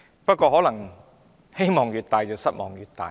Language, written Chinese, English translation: Cantonese, 不過，可能希望越大，失望越大。, But perhaps greater expectation will really end up in greater disappointment